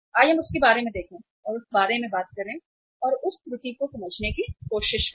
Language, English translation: Hindi, Let us see about that, talk about that and try to understand that error